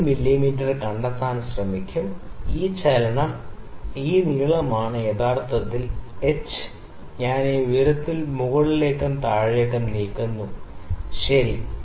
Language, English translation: Malayalam, 3 mm, this movement this is length of h actually you know I am moving it up and down this height, ok